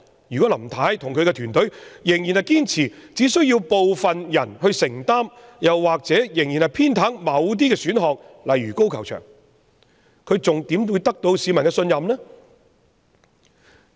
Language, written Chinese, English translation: Cantonese, 如果林太與其團隊仍然堅持只需要部分人承擔，又或是仍然偏袒某些選項如高球場，她還怎會得到市民的信任呢？, If Mrs LAM and her team still insist that the burden should only be borne by some people or are still biased in favour of certain options such as the golf course how can she win public trust?